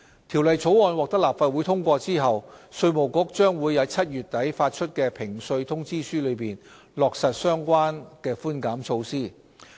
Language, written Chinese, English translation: Cantonese, 《條例草案》獲立法會通過後，稅務局將由7月底起發出的評稅通知書中，落實相關寬減措施。, Following the passage of the Bill by the Legislative Council the Inland Revenue Department will implement the relevant concessionary measures in notices of assessment to be issued from late July